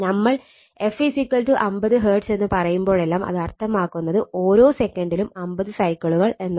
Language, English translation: Malayalam, Whenever whenever we say whenever we say f is equal to f is equal to 50 hertz ; that means, it is 50 cycles per second right